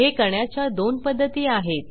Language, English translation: Marathi, There are 2 ways to do this